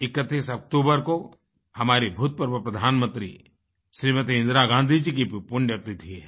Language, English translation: Hindi, The 31st of October also is the death anniversary of our former Prime Minister Indira Gandhi